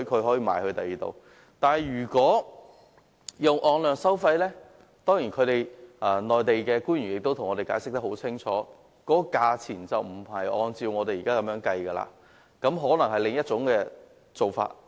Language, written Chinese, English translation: Cantonese, 可是，如果使用按量收費方式，內地官員亦已向我們清楚解釋，在價錢上就不會按照現時的方式計算，而可能有另一種做法。, But if a quantity - based charging approach is adopted as explained to us clearly by the Mainland officials prices will no longer be calculated based on the current formula and another method of calculation may have to be adopted